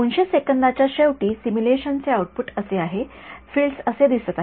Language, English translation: Marathi, This is what the output of the simulation is at the end of 200 seconds this is what the fields look like right